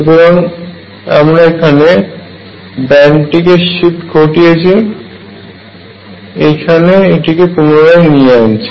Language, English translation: Bengali, So, I shift this band here and bring it in